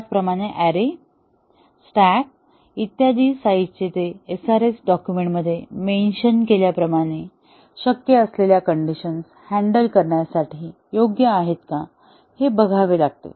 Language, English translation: Marathi, Similarly, the size of arrays, stack, etcetera are they large enough to handle the situations that are possible as mentioned in the SRS document